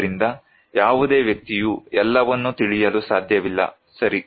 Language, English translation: Kannada, So, no person can know everything, right